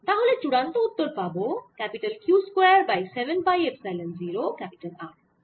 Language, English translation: Bengali, so final answer is q square over seven pi epsilon zero r